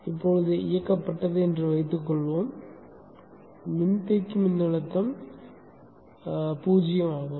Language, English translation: Tamil, So let us say the source is turned on, capacity voltage is zero